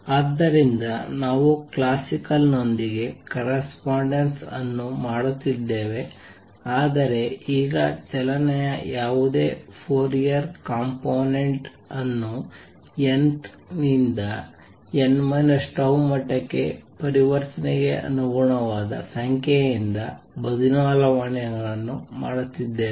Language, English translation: Kannada, So, we are making a correspondence with classical, but making changes that now any Fourier component of the motion is going to be replaced by a number corresponding to the transition from n th to n minus tau level